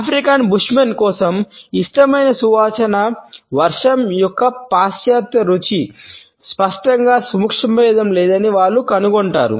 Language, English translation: Telugu, For the African Bushmen, the loveliest fragrance is that of the rain and they would find that the western taste are distinctly lacking in subtlety